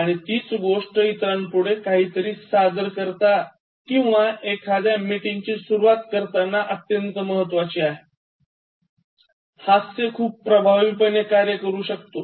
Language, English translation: Marathi, And the same thing goes in terms of giving a presentation or beginning a meeting in work, humour can function very effectively